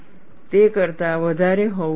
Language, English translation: Gujarati, It should be greater than that